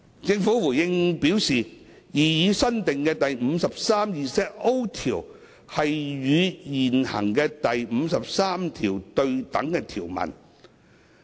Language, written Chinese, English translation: Cantonese, 政府回應時表示，擬議新訂的第 53ZO 條是與現行的第53條對等的條文。, The Government has responded that the proposed new section 53ZO is the equivalent provision of the existing section 53 which applies to money service operators MSOs